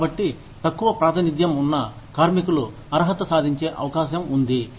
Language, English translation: Telugu, So, that the under represented workers, are more likely to be qualified